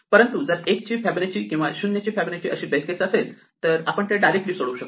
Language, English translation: Marathi, But if we have a base case that Fibonacci of 1 or Fibonacci of 0, we do not have any sub problems, so we can solve them directly